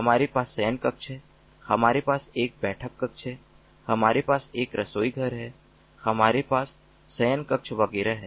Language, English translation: Hindi, in this home we have different rooms, we have bedrooms, we have a living living room, we have a kitchen, we have bedrooms and so on